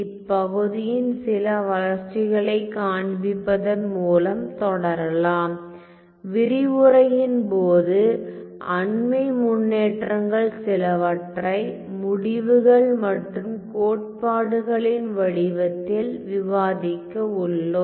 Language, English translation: Tamil, So, let me continue by showing you some of the development in this area and then we are going to discuss during the course of a lecture we are going to discuss some of these recent developments and in the form of results and theorems